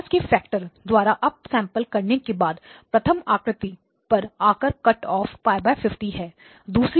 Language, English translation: Hindi, So after the up sampling by a factor of 50 there is a cut off there is first image at pi divided by 50